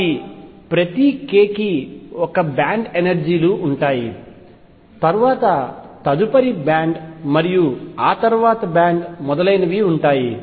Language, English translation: Telugu, So, for each k there is a band of energies and then the next band and then next band and so on